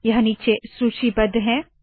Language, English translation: Hindi, These are listed below